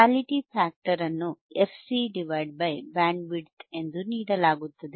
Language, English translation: Kannada, Quality factor, quality factor is given as fC by f by Bandwidth